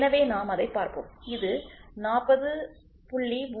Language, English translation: Tamil, So, what is that let us see so, it is 40